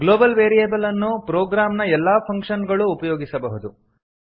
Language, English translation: Kannada, A global variable is available to all functions in your program